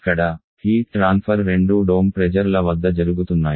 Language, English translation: Telugu, Here, both the heat transfer as taking place at constant pressure